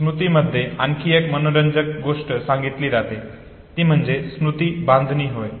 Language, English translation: Marathi, Another interesting thing that is also talked about in memory is memory construction